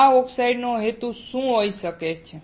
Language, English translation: Gujarati, This is what the purpose of the oxide can be